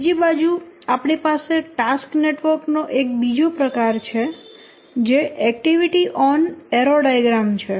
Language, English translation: Gujarati, On the other hand, we have another variant of task network which is activity on arrow diagram